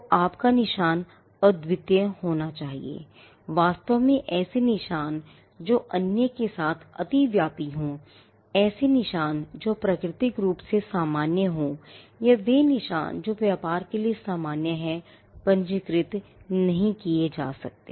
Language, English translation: Hindi, So, your mark had to be unique, in fact marks which are overlapping with other, marks or marks which are generic in nature, or marks which are common to trade cannot be registered